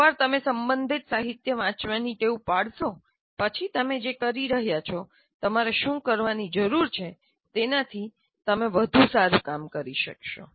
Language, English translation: Gujarati, Once you get into the habit of reading, literature related to that, you will be able to do much better job of what you would be doing, what you need to do